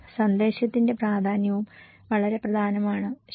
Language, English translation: Malayalam, Importance of message is also very important, okay